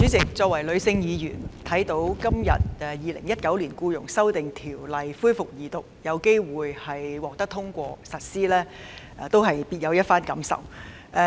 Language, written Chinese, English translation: Cantonese, 主席，我作為女性議員，看到《2019年僱傭條例草案》今天恢復二讀辯論，並有機會獲得通過及實施，實在別有一番感受。, President as a female Member of the Council I do have special feelings when the Second Reading debate of the Employment Amendment Bill 2019 the Bill resumed today which will possibly be passed and come into operation